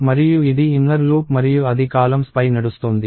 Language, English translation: Telugu, And this is the inner loop and that is iterating over the columns